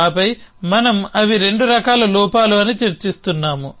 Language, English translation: Telugu, And then we are discussing that they are 2